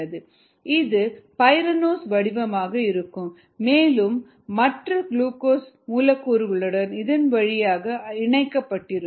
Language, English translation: Tamil, so this is the pyranose form as written here, and then connected to other glucose molecules